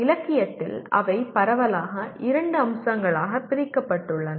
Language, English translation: Tamil, In the literature they are broadly divided into two aspects